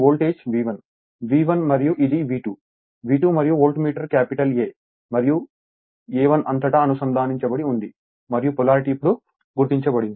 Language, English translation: Telugu, This voltage is V 1, V 1 and this is V 2, V 2 and on voltage Voltmeter is connected your across capital A 1 and small a 1 and this is the polarity now it is marked right